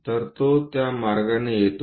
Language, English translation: Marathi, So, that comes in that way